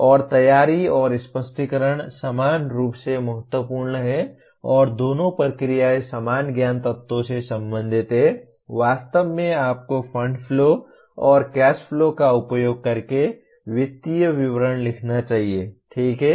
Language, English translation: Hindi, And preparation and explanation are equally important and both the processes are related to the same knowledge elements namely actually you should write financial statement using fund flow and cash flow, okay